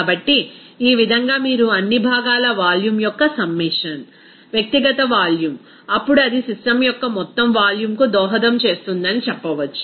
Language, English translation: Telugu, So, in this way, you can say that the summation of all the components volume, the individual volume, then it will be contributing to the total volume of the system